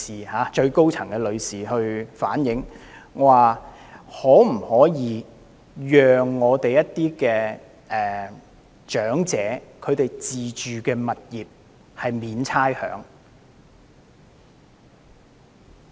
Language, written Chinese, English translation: Cantonese, 是最高層的女士建議，可否寬免一些長者自住物業的差餉。, I suggested granting a rates waiver for the self - occupied properties of the elderly